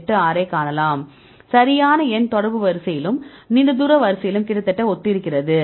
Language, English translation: Tamil, 86 right the number is almost similar in both contact order as well as for the long range order